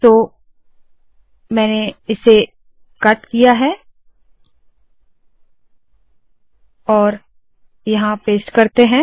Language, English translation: Hindi, So I have cut, lets paste it here